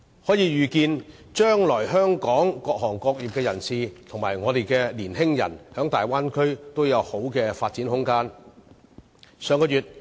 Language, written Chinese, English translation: Cantonese, 可以預見，將來香港各行各業人士及香港的年青人在大灣區也會有良好的發展空間。, It is expected that Hong Kong people from different trades and our young people will have ample room for development in the Bay Area in the future